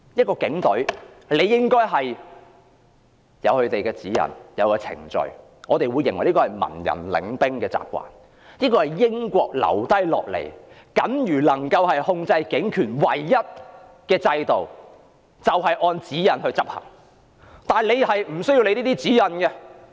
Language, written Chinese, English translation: Cantonese, 警隊理應有既定的指引和程序，這是文人領兵的習慣，也是英國留下僅餘能夠控制警權的唯一制度，就是要求警員按指引行事。, The Police Force should follow established guidelines and procedures which is the practice of civilian leadership . Also this is the only system inherited from the British for exercising control over police power that is police officers are required to act in accordance with the guidelines